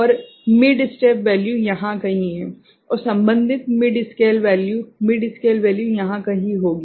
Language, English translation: Hindi, And the mid step value is somewhere here right, and the corresponding mid scale – mid scale value will be somewhere here